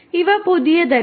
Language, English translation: Malayalam, So, you know these are not new